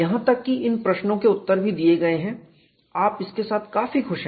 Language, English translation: Hindi, Even these questions are answered, you are quite happy with it